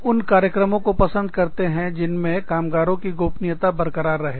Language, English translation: Hindi, People like programs, that maintain, the confidentiality of the workers